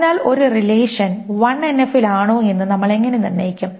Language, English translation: Malayalam, So how do we determine if a relation is in 1NF